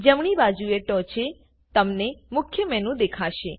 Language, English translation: Gujarati, Right at the top you will see the Main Menu